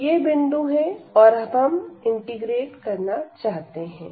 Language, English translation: Hindi, So, these are the points and now we want to integrate